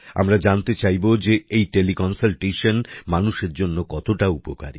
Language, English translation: Bengali, Let us try to know how effective Teleconsultation has been for the people